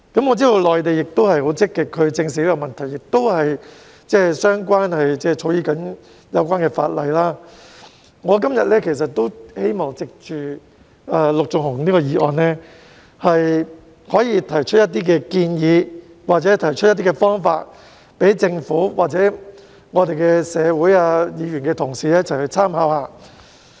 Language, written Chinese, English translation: Cantonese, 我知道內地正在積極地正視這個問題，並正草擬相關的法例，我今天亦希望藉着陸頌雄議員的議案，提出一些建議或方法，供政府、議員同事或社會大眾參考。, I know that active efforts are being made in the Mainland to address this issue and the relevant legislation is being drafted . Today I would like to take this opportunity brought by Mr LUK Chung - hungs motion to propose some recommendations or solutions for reference by the Government Members and the public